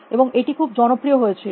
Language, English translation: Bengali, And that became very popular